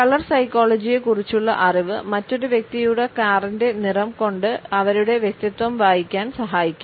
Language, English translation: Malayalam, Knowledge of color psychology can even help you read another persons personality just by looking at the color of their car